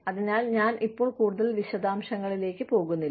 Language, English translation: Malayalam, So, I will not go in to, too much detail now